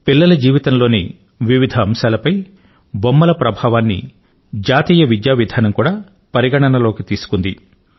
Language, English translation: Telugu, In the National Education Policy, a lot of attention has been given on the impact of toys on different aspects of children's lives